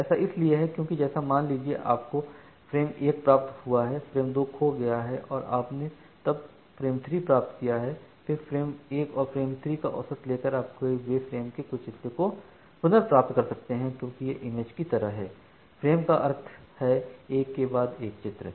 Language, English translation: Hindi, So, that is why say for example, you have received frame 1 frame 2 has lost and you have then received frame 3 then by doing averaging over frame 1 and frame 3 you can recover certain part of the frame the lost frame, because it is just like images frames means; images one after another